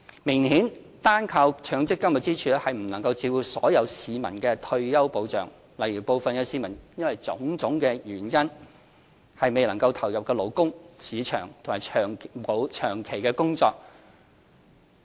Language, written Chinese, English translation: Cantonese, 明顯地，單靠強積金支柱並未能照顧所有市民的退休保障，例如部分市民因為種種原因未能投入勞動市場或長期工作。, Obviously the MPF pillar alone cannot provide retirement protection to the whole population as some people may not be able to enter the job market or get employed permanently due to various reasons